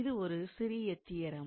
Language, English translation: Tamil, So, this is a small theorem